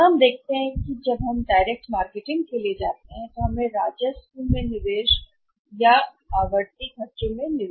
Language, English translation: Hindi, Here what we see that when we go for the direct marketing we have to make an investment in the revenue or in the recurring expenses also